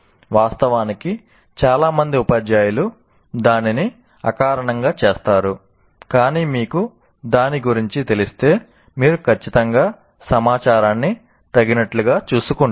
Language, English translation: Telugu, Actually, many teachers do that intuitively, but if you are aware of it, you will definitely make sure that you change the information appropriately